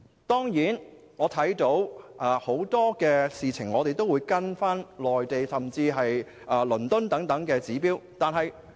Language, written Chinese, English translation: Cantonese, 當然，香港在很多事情上都會跟隨內地及倫敦等指標。, Of course Hong Kong will adopt the indicators of the Mainland and London in many aspects